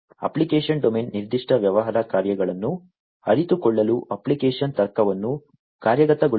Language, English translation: Kannada, The application domain represents the set of functions which implement the application logic to realize the specific business functions